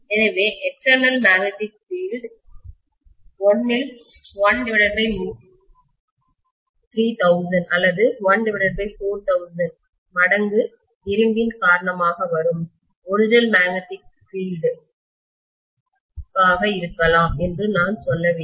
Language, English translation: Tamil, So I should say the external magnetic field maybe from 1 by 3000 or 1 by 4000 times the original magnetic field which is due to iron